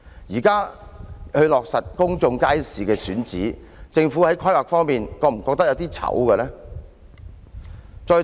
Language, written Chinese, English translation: Cantonese, 現在才落實公眾街市的選址，政府在規劃方面會否感到有點兒羞愧呢？, It is only at this moment that the location of the public market has been finalized . Shouldnt the Government feel a bit ashamed in its planning?